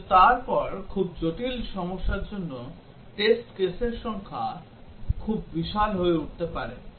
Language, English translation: Bengali, But then for very complicated problems, the number of test cases can become very huge